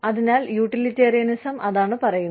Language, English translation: Malayalam, So, that is what, utilitarianism says